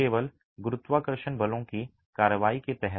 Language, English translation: Hindi, It is purely under gravity forces